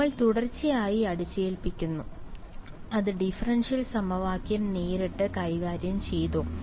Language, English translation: Malayalam, We impose continuity, that continuity did it directly deal with the differential equation